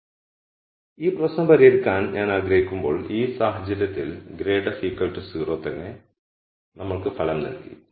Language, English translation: Malayalam, So, when I want to solve for this problem the result is in this case grad f equal to 0 itself gave us the result